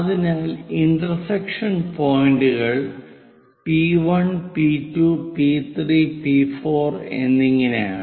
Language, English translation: Malayalam, So, the intersection points are at this P1, P2, P3, P4, and so on